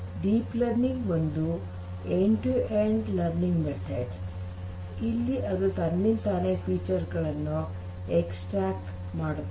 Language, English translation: Kannada, Deep learning is an end to end learning which extracts features on its own